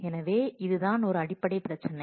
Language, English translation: Tamil, So, that is the basic problem